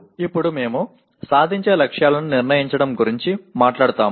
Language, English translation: Telugu, Now we talk about setting the attainment targets